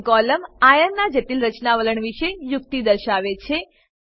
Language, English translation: Gujarati, Spin column gives idea about complex formation tendency of Iron